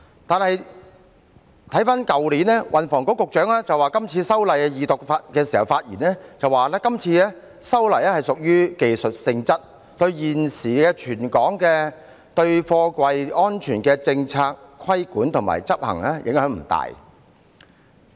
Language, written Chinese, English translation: Cantonese, 但是，去年運輸及房屋局局長曾就今次修例表示，今次修例屬於技術性質，對現時全港的貨櫃安全政策、規管和執行影響不大。, However last year the Secretary for Transport and Housing told us that the amendments this time around were mostly technical in nature and they would not have much impact on the current container safety policy regulation and implementation in Hong Kong